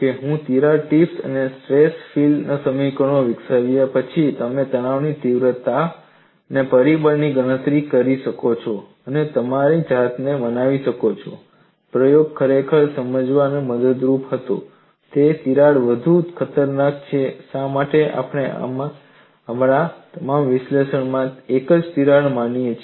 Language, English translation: Gujarati, In the next class, after I develop crack tip and stress field equations, you would also be in a position to calculate the stress intensity factor and convince yourself, the experiment was indeed helpful in understanding which crack is more dangerous and why we consider only one crack for all our analysis